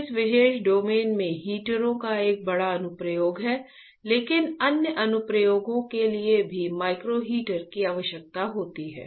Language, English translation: Hindi, So, there are a huge application of the heaters in this particular domain, but also micro heater is required for other applications